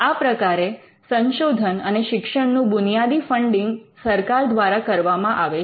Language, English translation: Gujarati, So, the funding fundamental research and education is something that is done by the government